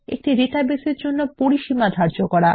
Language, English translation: Bengali, Define Ranges for a database